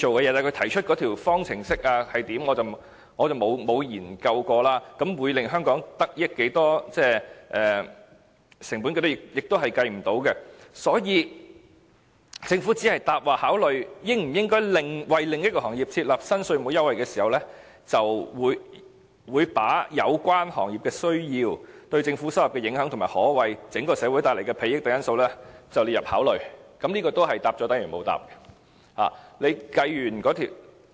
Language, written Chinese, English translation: Cantonese, 至於他提出的那條方程式，我則沒有研究，會令香港得益多少，而成本方面亦無法計算，所以政府只回答："在考慮應否為另一行業設立新稅務優惠制度時，會把有關行業的需要、對政府收入的影響及可為整個社會帶來的裨益等因素納入考慮之列"，這亦是答了等於沒有答。, In respect of the formula he has mentioned I have not gone into it to study how much Hong Kong will benefit from it . It is also hard to calculate the relevant costs . Hence the Government said in its reply The Administration would take into account the needs of the sector concerned and the impact on public revenue and the possible benefits to the society as a whole among other factors in considering whether a new tax concession regime should be set up for another sector